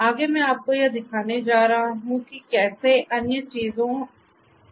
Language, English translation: Hindi, Next I am going to show you how different other things are done